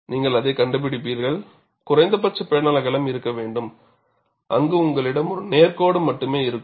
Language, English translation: Tamil, You have to appreciate the concept and you will find that, there has to a minimum panel width, where you have only a straight line and that dictates this